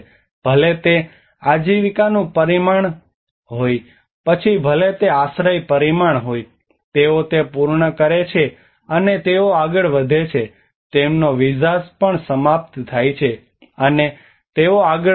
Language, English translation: Gujarati, Whether it is a livelihood dimension, whether it is a shelter dimension, they finish that, and they move on, their visas are also expire, and they move on